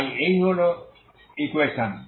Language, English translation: Bengali, What is the equation becomes